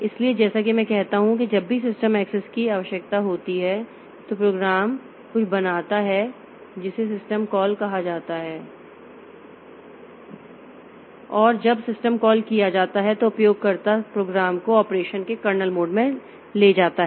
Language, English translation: Hindi, So, as I said that whenever a system access is required, so the program makes something called a system call and when the system call is made the user the program is taken to the kernel mode of operation